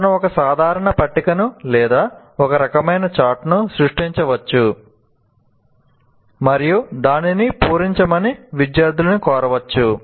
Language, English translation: Telugu, He can create a simple tables or some kind of a chart and say you start filling that up